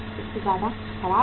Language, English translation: Hindi, More than that is bad